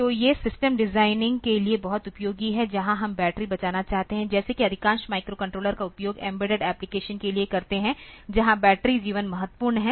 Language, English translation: Hindi, So, these are very much useful for designing systems where we have to when we are going to save the battery like most of the cases microcontroller they are used for embedded application where the battery life is important